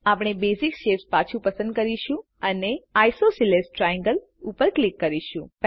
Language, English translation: Gujarati, We shall select Basic shapes again and click on Isosceles triangle